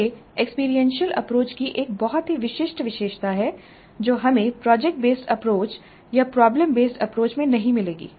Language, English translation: Hindi, This is a very distinguishing feature of experiential approach which we will not find it in project based approach or problem based approach